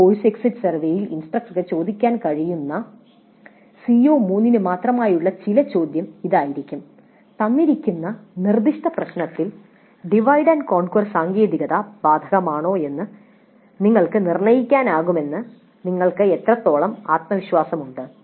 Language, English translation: Malayalam, Some questions specific to CO3 that instructor can ask in this course exit survey would be how confident do you feel that you can determine if divide and conquer technique is applicable to a given specific problem